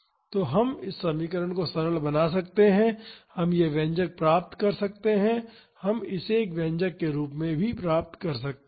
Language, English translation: Hindi, So, we can simplify this equation and we can get this expression we can reduce this to this expression